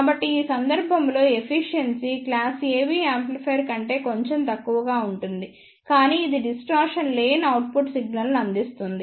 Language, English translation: Telugu, So, in this case the efficiency is slightly less than the class AB amplifier, but it provides the distortion free output signal